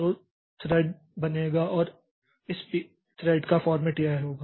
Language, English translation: Hindi, So, the format of this p thread, p thread create is like this